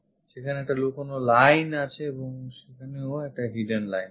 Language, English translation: Bengali, There is hidden line there and also there is a hidden line